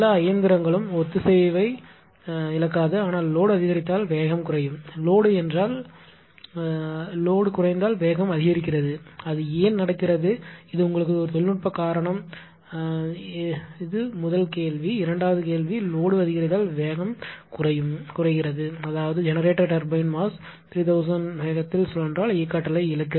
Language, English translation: Tamil, So, all the machine will not lose synchronism, but that ah there will there will be decrease in the speed because load has increased my question is if load increases speed decreases if load decreases speed increases why it is happening; what is the technical reason this is a question to you, this is a first question second question is that if load increases the speed is falling that is generator turbine mass rotating in a 3000 rpm speed decreases mean that will loss of kinetic energy right